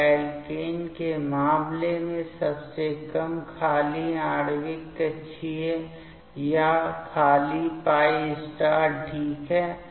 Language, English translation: Hindi, And in case of alkene the lowest unoccupied molecular orbital is this empty π*fine